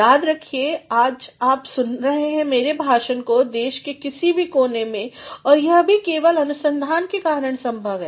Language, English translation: Hindi, Remember today you are listening to my lecture being in any part of the country and that is possible also only because of research